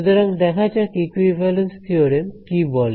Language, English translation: Bengali, So, let us look at what equivalence theorem say